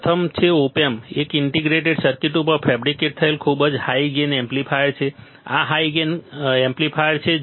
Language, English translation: Gujarati, First is op amp is a very high gain amplifier fabricated on a integrated circuit; this is a high gain amplifier ok